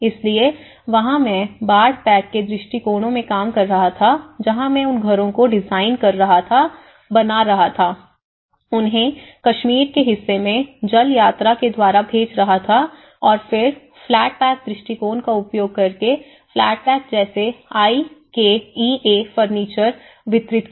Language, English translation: Hindi, So, there I was working in the flood pack approaches where I was designing the houses getting them made and where I was sending them, to shipping them to the Kashmir part of Kashmir and then shipping flat pack up using the flat pack approaches like we delivered the IKEA furniture